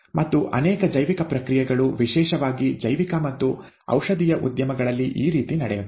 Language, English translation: Kannada, And, very many biological processes happen this way, specially in biological and pharmaceutical industries, okay